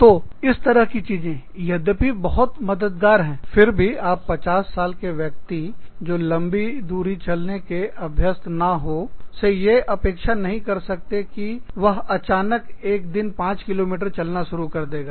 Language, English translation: Hindi, So, that kind of a thing, even though, it is very helpful, you cannot expect a 50 year old person, who is not used to long walks, to suddenly start walking, 5 kms a day